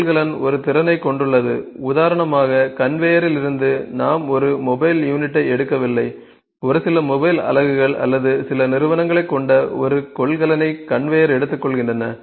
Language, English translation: Tamil, Container has a capacity, for instance from the conveyor we are not taking one mobile unit; if conveyor is taking a container which is containing a few mobile units or few entities actually